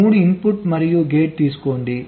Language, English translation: Telugu, take a three input and gate